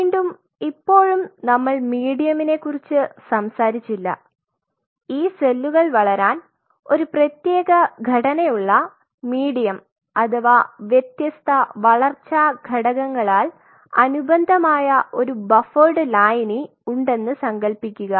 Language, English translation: Malayalam, So, again as of now we have not talked about medium just assume that we you have a particular composition of medium where these cells will grow or a buffered solution supplemented by different growth factors